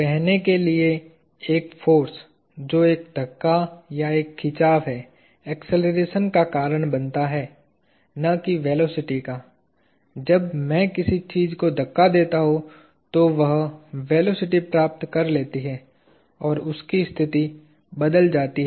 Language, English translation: Hindi, To say that, a force, which is a push or a pull causes acceleration and not velocity; when I push something, it acquires velocity and it changes position